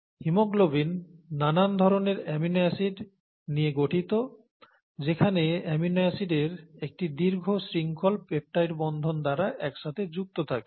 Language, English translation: Bengali, The haemoglobin consists of various different amino acids here a long chain of amino acids all connected together by peptide bonds, okay